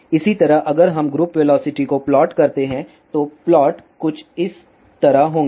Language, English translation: Hindi, Similarly, if we plot group velocity then the plots will be something like this